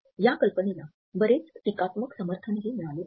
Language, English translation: Marathi, This idea has also received a lot of critical support